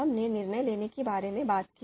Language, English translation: Hindi, So we talked about what is decision making